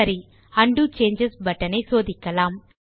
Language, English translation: Tamil, Okay, now let us test the Undo changes button